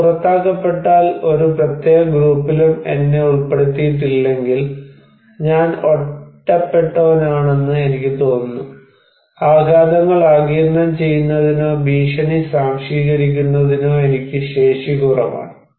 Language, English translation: Malayalam, If I am outcasted, I am not included in any particular group then I feel that I am isolated; I have less capacity to absorb the shocks or absorb the threat